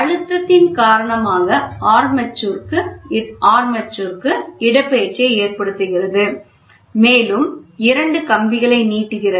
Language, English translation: Tamil, So, the application of pressure causes a displacement to the armature which, in turn, elongates two of the wires